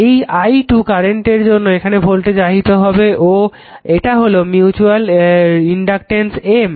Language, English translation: Bengali, Because of this current i 2 a voltage will induce and this is your your mutual inductance was M